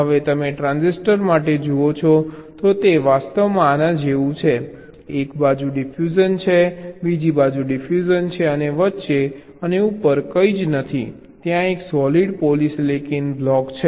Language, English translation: Gujarati, so it is actually like this: there is a diffusion on one side, diffusion on the other side, nothing in between, and top there is a solid polysilicon block